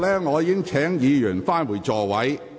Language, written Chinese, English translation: Cantonese, 我已一再請議員返回座位。, I have repeatedly asked Members to return to their seats